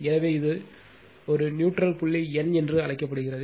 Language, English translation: Tamil, So, this is called neutral point n